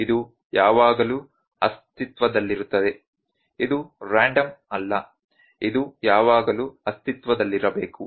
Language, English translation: Kannada, This would always exist; this is not random this should always exist